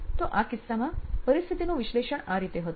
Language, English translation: Gujarati, So, in this case this is what our analysis of the situation was